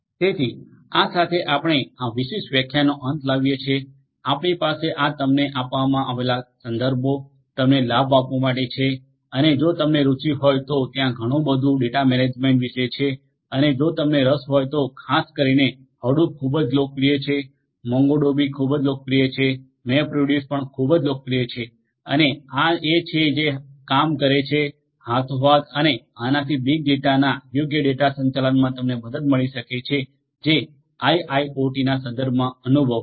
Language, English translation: Gujarati, So, with this we come to an end of this particular lecture we have this different difference is given to you, for you to benefit from and if you are interested you know there is a lot to do with data management and if you are interested particularly Hadoop is very popular, MongoDB is very popular, MapReduce is also very popular, these are once which work hand in hand and this can help you in proper data management of big data that is being that is experience typically in the context of in the context of in the context of IIoT